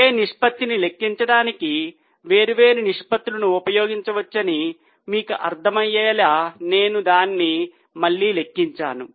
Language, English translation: Telugu, I have just calculated it again to make you understand that different ratios can be used actually to calculate the same thing